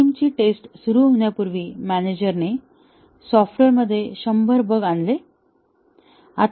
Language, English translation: Marathi, Before the system’s testing started, the manager introduced 100 bugs into the software